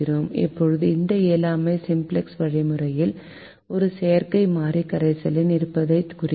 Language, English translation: Tamil, now this in feasibility is indicated by the simplex algorithm with the present of an artificial variable in the solution